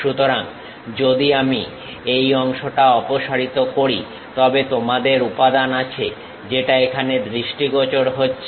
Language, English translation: Bengali, So, if I remove that part visually, you have material which is visible here